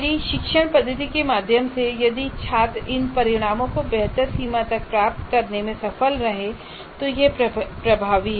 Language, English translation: Hindi, So if I am able to, through my instructional method, if the students have been able to attain these outcomes to a better extent, then this is effective